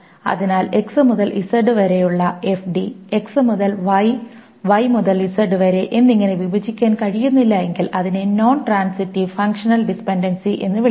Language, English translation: Malayalam, So if FD X to Z cannot be broken down X Y and Y to Z, then it's called a non transitive functional dependency